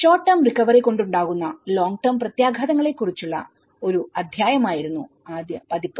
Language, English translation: Malayalam, So, the earlier version with that was a chapter on long term impacts from the short term recovery